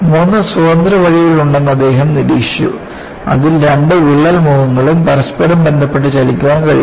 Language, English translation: Malayalam, And, he observed that there are three independent ways, in which the two crack surfaces can move with respect to each other